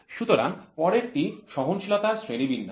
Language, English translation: Bengali, So, the next one is classification of tolerance